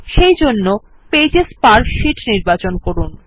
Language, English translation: Bengali, So, select Pages per sheet